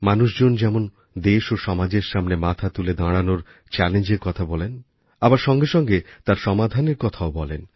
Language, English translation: Bengali, People bring to the fore challenges facing the country and society; they also come out with solutions for the same